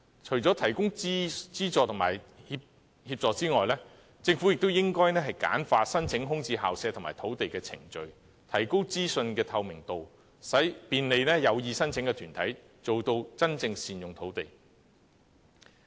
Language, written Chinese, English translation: Cantonese, 除提供資助和協助外，政府亦應簡化申請租用空置校舍和土地的程序，提高資訊透明度，便利有意申請的團體，做到真正善用土地。, Apart from providing subsidies and assistance the Government should also streamline the application procedures for renting vacant school premises and sites and increase the transparency of information for the convenience of organizations intending to make such applications thus genuinely optimizing the use of land